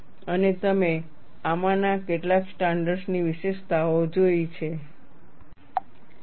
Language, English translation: Gujarati, And we look at features of some of these standards